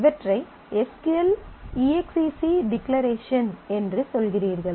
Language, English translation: Tamil, So, you are saying these are SQL exec declaration